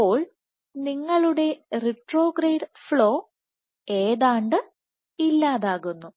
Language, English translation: Malayalam, So, you have retrograde flow nearly eliminated flow eliminated